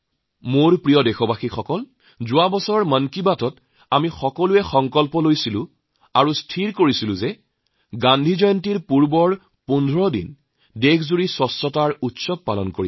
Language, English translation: Assamese, My dear countrymen, we had taken a resolve in last month's Mann Ki Baat and had decided to observe a 15day Cleanliness Festival before Gandhi Jayanti